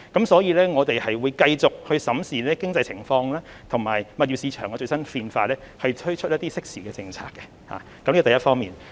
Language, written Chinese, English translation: Cantonese, 所以，我們會繼續審視經濟情況，以及物業市場的最新變化，推出適時的政策，這是第一方面。, Hence we will keep monitoring the economic conditions and the latest change of the property market so as to launch appropriate policies timely . This is the first point